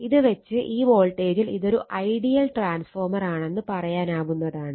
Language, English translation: Malayalam, That means, this one as if it is an ideal transformer